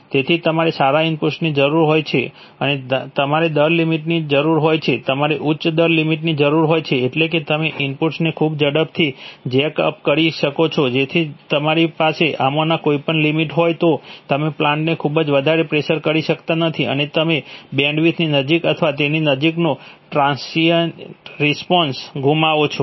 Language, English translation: Gujarati, So you need good input and you need rate limits, you need high rate limits that is, you can jack up the input very fast, so if you have any of these limits then you cannot push the plant hard enough and you lose intransient response as or close to bandwidth